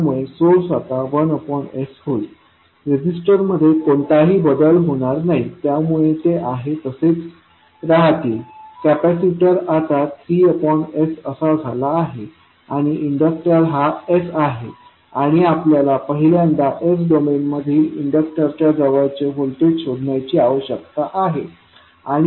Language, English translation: Marathi, So source will now become 1 by S there will be no change in the resistances so these will remain same, capacitor has now become 3 by S and inductor has become S and we need to find out first the voltage across the inductor in s domain and then we will convert it into time domain